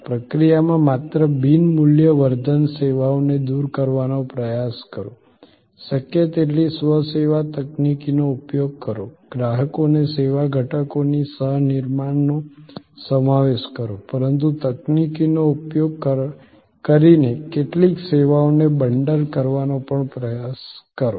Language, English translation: Gujarati, In the process try to, not only eliminate non value adding services, use as much of self service technology as possible, include customers co creation of the service elements, but try also to bundle some services using technology